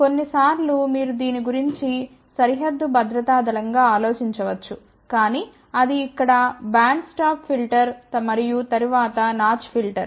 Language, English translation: Telugu, Sometimes you may think about this as a border security force, but that is a band stop filter here and then notch filter